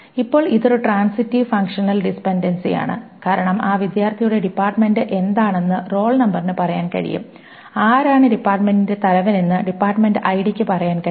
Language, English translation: Malayalam, Now this is a transitive functional dependency because the role number essentially can say what is the department of that student and the department ID can say who is the head of the department of that department